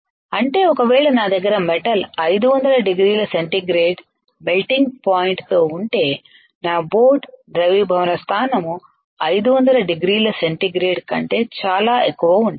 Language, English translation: Telugu, That means if I have a metal which has a melting point of let us say 500 degree centigrade my boat should have a melting point which is very higher than 500 degree centigrade